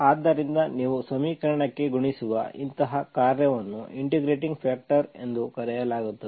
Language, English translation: Kannada, So such a function which you multiply to the equation is called on integrating factor